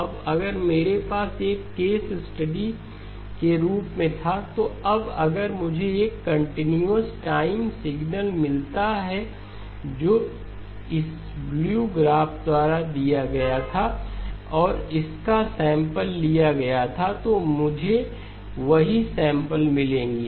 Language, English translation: Hindi, Now if I had, just as a case study, now if I had a continuous time signal that was given by this blue graph and it had been sampled, I would have gotten the same samples